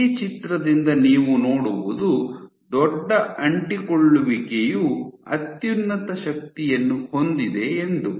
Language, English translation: Kannada, So, what you see from this picture is that the biggest adhesion has the highest force